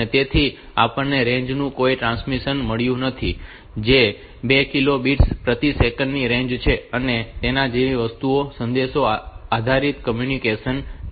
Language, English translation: Gujarati, So, we have got no transmission of the range, range of 2 kilo bits per second and things like that and it is a message based communication